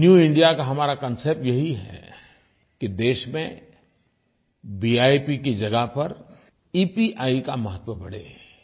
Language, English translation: Hindi, Our concept of New India precisely is that in place of VIP, more priority should be accorded to EPI